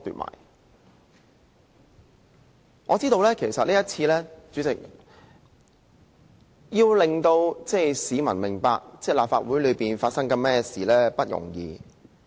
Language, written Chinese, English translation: Cantonese, 代理主席，其實這次要令市民明白立法會內正在發生甚麼事並不容易。, Why should they deprive themselves of the last remaining scope? . Deputy President it is actually not easy to make the public understand what is going on in the Legislative Council